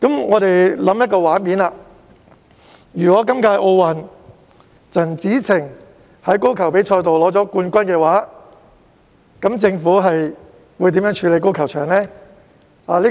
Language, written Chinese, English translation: Cantonese, 我們想想，如果今屆奧運代表陳芷澄在高爾夫球比賽中獲得冠軍，政府將會如何處理高爾夫球場呢？, Imagine that this years Olympic representative wins the championship in the golf competition what will the Government do with the golf course?